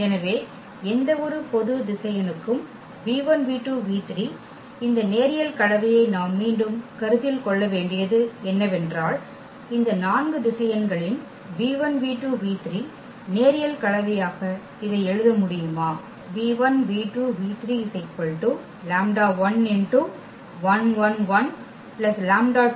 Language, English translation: Tamil, So, for any general vector v 1 v 2 v 3 what we have to again consider this linear combination that whether we can write down this v 1 v 2 v 3 as a linear combination of these four vectors